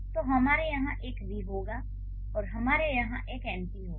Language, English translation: Hindi, So, we'll have a V here and we'll have an an NP here